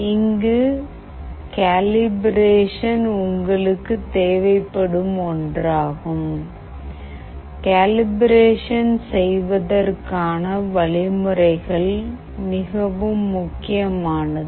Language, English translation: Tamil, The point is you need this calibration, the calibration step is really very important